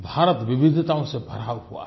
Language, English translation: Hindi, " India is full of diversities